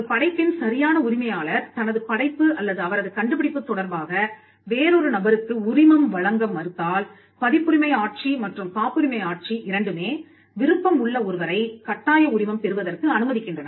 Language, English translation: Tamil, If the right holder refuses to license his work or his invention to another person, both the copyright regime and the pattern regime allow you to seek a compulsory license, which is a license granted by the government